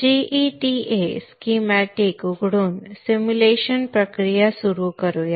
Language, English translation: Marathi, Let us begin the simulation process by opening the GEDA schematic